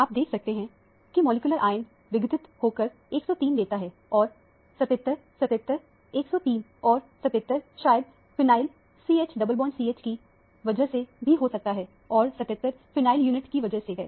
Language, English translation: Hindi, You can also see that molecular ion decomposes or fragments to give 103 and 77 – 77 – 103 and 77 could be due to the phenyl CH double bond CH unit and 77 is because of the pheynl unit